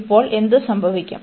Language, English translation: Malayalam, Now, what happen